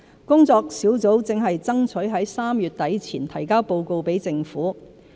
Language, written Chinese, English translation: Cantonese, 工作小組正爭取在3月底前提交報告給政府。, The Task Force aims to submit a report to the Government by the end of March